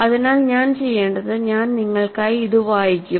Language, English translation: Malayalam, So, what I would do is, I would also read it for you